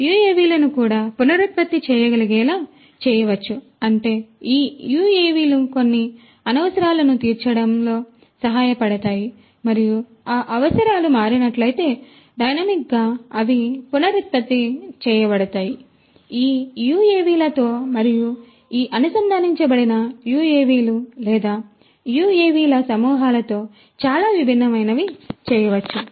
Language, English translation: Telugu, UAVs can also be made reprogrammable so; that means, these UAVs can help you know cater to certain requirements and then dynamically those requirements if they change, they can be reprogrammed, you know many different things can be done with these UAVs and these connected UAVs or swarms of UAVs